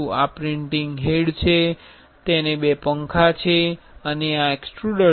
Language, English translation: Gujarati, This is the printing head, it has two fans and this is the extruder